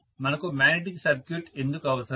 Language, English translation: Telugu, Why do we need magnetic circuit